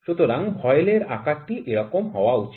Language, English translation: Bengali, So, the shape of the voile is something like this